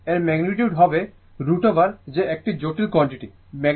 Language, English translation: Bengali, Therefore, its magnitude will be root over that is complex quantity